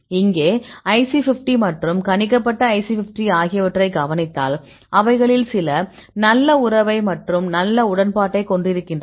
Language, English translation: Tamil, Here I showed the values observed IC50 and the predicted IC50; some of them are having good relationship like this is having a good agreement and some cases it is not very good